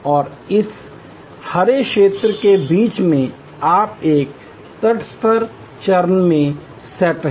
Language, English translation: Hindi, And in between in this green zone you are set of in a neutral phase